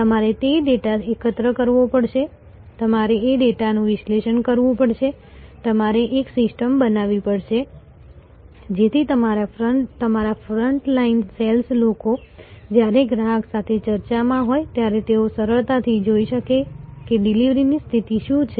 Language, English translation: Gujarati, You have to collect those data, you have to analyze that the data, you have to create a system, so that your front line sales people when they are in discussion with the customer, they should be easily able to see that, what is the delivery position, how long it will take to serve that customer